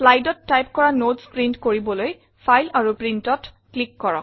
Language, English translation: Assamese, To print your notes, which you typed for your slides, click on File and Print